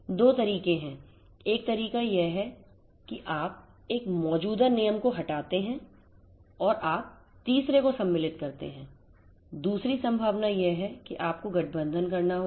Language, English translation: Hindi, There are 2 ways, one way is that you delete one existing rule and you insert the third one the other possibility is that you have to combine